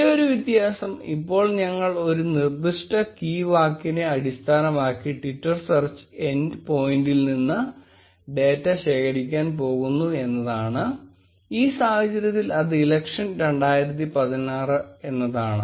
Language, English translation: Malayalam, The only difference being that now we are going to collect data from twitter search end point based on a specific key word, in this case election 2016